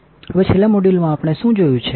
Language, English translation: Gujarati, Now, in the last module what we have seen